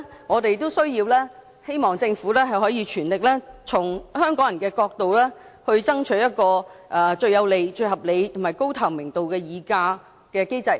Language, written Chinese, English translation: Cantonese, 我們希望政府可以全力從香港人的角度，爭取一個最有利、合理及高透明度的議價機制。, We hope the Government can strive for the most favourable reasonable and transparent negotiation mechanism from the perspective of Hong Kong people